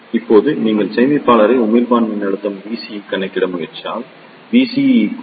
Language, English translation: Tamil, Now, if you try to calculate the collector to emitter voltage V CE